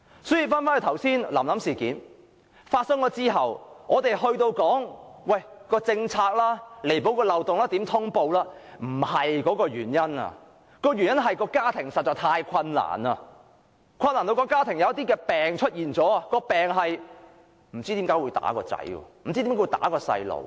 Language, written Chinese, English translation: Cantonese, 所以，"臨臨事件"發生後，人們紛紛說要彌補政策漏洞、改善通報機制，但這並不是最終原因，而是因為家庭實在太過困難，以致出現了一些毛病，不知何故會毆打子女。, Therefore after the incident of Lam Lam a lot of views have been expressed about plugging the loopholes in our policy and improving the notification mechanism but these are not the major causes . The ultimate cause is the extreme difficulty that the family was facing which has led to certain disorders among its members and the urge to beat up a child out of unknown reason